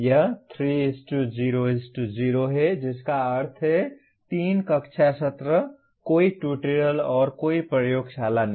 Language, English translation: Hindi, It is 3:0:0 that means 3 classroom session, no tutorial and no laboratory